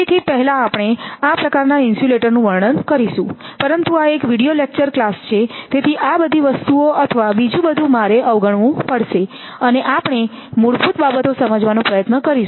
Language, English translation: Gujarati, So, first we will give that description of this type of insulators but it is a video lecture class, so all these things or something I have to skip and whatever the basic things we will try to understand